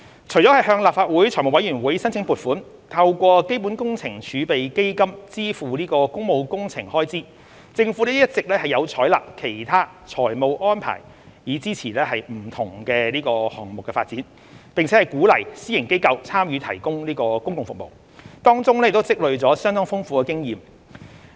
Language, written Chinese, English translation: Cantonese, 除了向立法會財務委員會申請撥款，透過基本工程儲備基金支付工務工程開支，政府一直有採納其他財務安排以支持不同項目發展，並鼓勵私營機構參與提供公共服務，當中已經累積相當豐富的經驗。, Apart from seeking funding approval from the Finance Committee of the Legislative Council for public works through the Capital Works Reserve Fund the Government has been adopting other financial arrangements to support the delivery of different projects and has been encouraging the private sector organizations to participate in the provision of public services . We have accumulated much experience in the process